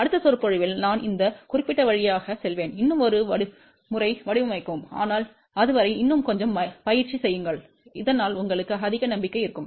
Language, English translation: Tamil, In the next lecture, I will go through this particular design one more time, but till then do little more practice so that you have a more confidence